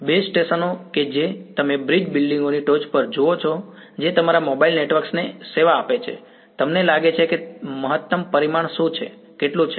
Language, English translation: Gujarati, The base stations that you see on top of bridges buildings that serves your mobile network, what is the maximum dimension that you think, how much